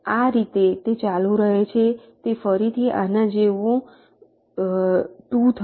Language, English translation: Gujarati, in this way it continues, it will be two, like this again